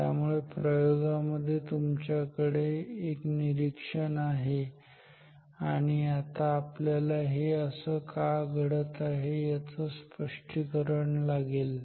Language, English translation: Marathi, So, experiment you have some observation now we need some explanation why is it happening ok